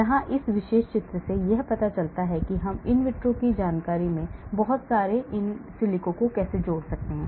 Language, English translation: Hindi, so here this particular picture shows how we can combine lot of in silico, in vitro information